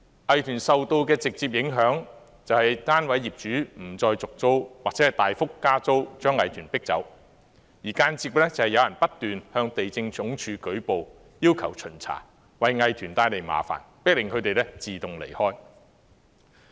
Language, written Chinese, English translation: Cantonese, 藝團受到的直接影響就是單位業主不再續租或大幅加租，將藝團迫走；而間接的是有人不斷向地政總署舉報，要求巡查，為藝團帶來麻煩，迫使他們自動離開。, The direct impact on art groups is that they have no alternative but to move out because the unit owners refuse to renew their leases or else significantly increase the rents . The indirect impact is that they are forced to leave because of the nuisances caused by some people repeatedly reporting to the Lands Department and requesting inspections